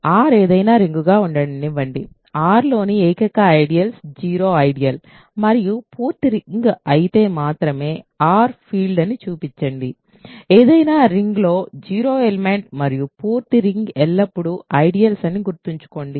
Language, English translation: Telugu, So, let R be any ring, show that R is a field if and only if and only the only ideals in R are the zero ideal and the full ring, remember in any ring the zero ideal and the full ring are always ideals